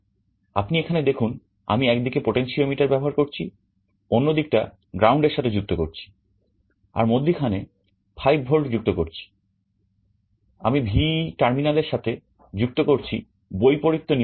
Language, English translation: Bengali, You see here, I am using a potentiometer on one side, I am connecting ground on one side, I am connecting 5 volt the middle point, I am connecting to the VEE terminal that is the contrast control